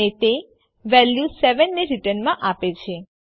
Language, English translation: Gujarati, And it returns the value 7